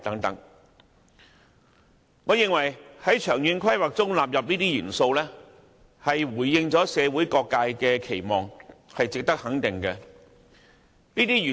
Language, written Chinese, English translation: Cantonese, 在長遠規劃中納入這些元素，回應了社會各界的期望，值得予以肯定。, It is worth commending that the Government has incorporated these elements into Hong Kongs long - term planning in response to the aspirations of different sectors in society